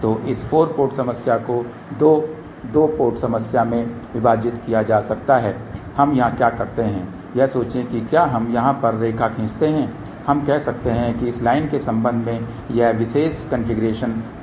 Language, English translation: Hindi, So, this 4 port problem can be divided into 2 2 ports problem what we do here is that think about if we draw line over here we can say that with respect to this line this particular configuration is symmetrical